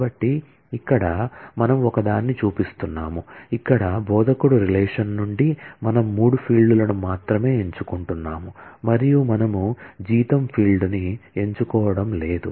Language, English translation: Telugu, So, here we are showing one, where, from the instructor relation, we are only picking up three fields and we are not picking up the salary field